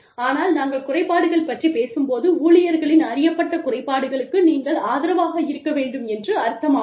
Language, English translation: Tamil, But, when we talk about disabilities, i mean, you need to have support, for the known disabilities of employees